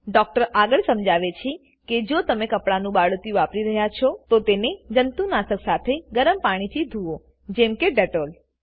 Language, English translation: Gujarati, The doctor further explains that if you using cloth diapers, wash them in hot water with a disinfectant like dettol